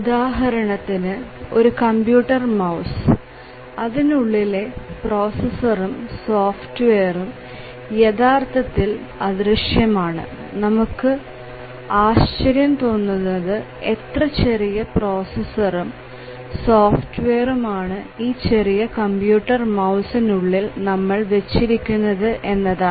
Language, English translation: Malayalam, For example, a computer mouse, the processor and the software that is there it is almost invisible that we may have to really wonder that how come such a small processor and the accompanied software memory and so on is there in a small device like a computer mouse